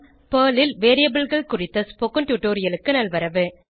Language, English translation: Tamil, Welcome to the spoken tutorial on Variables in Perl